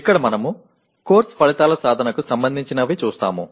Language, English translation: Telugu, Here we address the attainment of course outcomes